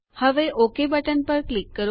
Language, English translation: Gujarati, Now click on the OK